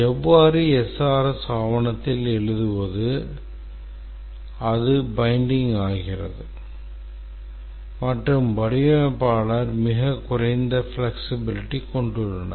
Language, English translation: Tamil, And then once we write it in the SRS document it becomes binding and the designers have very little flexibility